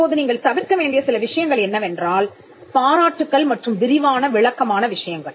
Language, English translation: Tamil, Now, certain things that you should avoid are laudatory and descriptive matters